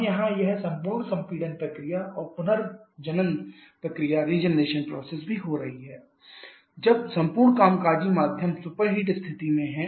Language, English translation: Hindi, Now here this entire compression process and also the regeneration process is happening when the entire working medium is at the superheated condition